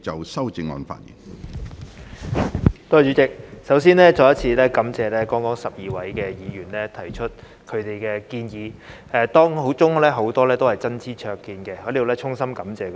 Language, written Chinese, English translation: Cantonese, 主席，首先再次感謝剛才12位議員提出他們的建議，當中很多是真知灼見，我在此衷心感謝他們。, President before I start I would like to thank the 12 Members again for their suggestions as many of which were very insightful . I am here to express my sincere gratitude to them